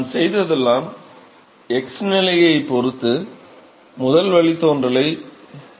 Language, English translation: Tamil, All I have done is I have taken the first derivative with respect to x position